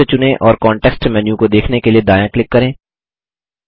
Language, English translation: Hindi, Select the text and right click for the context menu and select Character